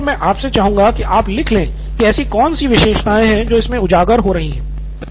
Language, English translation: Hindi, So at this point I would like you to write down what are features that are coming out of this